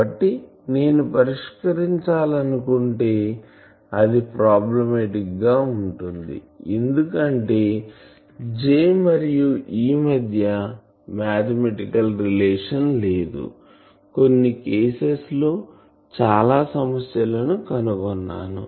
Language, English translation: Telugu, So, if I want to do it will be problematic because the J and E they are not so well related mathematically; I will find some problems in many of the cases